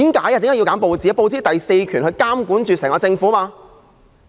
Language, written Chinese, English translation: Cantonese, 因為報紙代表第四權，負責監察整個政府。, That is because the press represents the fourth power which is responsible for monitoring the government